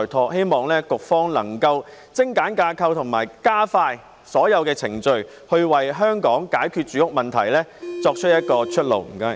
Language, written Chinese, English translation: Cantonese, 我希望局方能夠精簡架構及加快所有程序，為解決香港住屋問題找到一條出路。, I hope that the Bureau can streamline the structure and expedite all procedures in order to find a way out for the housing problems of Hong Kong